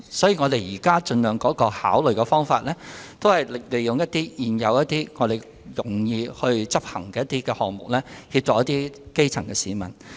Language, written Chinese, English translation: Cantonese, 所以，我們現時考慮的方向是，盡量利用現有及較容易執行的項目來協助基層市民。, Thus our line of thinking is to assist the grass roots with existing measures which are easier to implement as far as possible